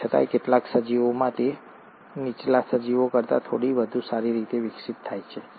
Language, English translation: Gujarati, Yet, in some organisms, it’s a little more better evolved than the lower organisms